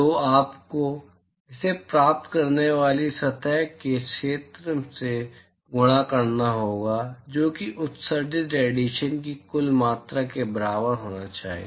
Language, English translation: Hindi, So, you have to multiply it by the surface area of the receiving surface that should be equal to the total amount of radiation that is emitted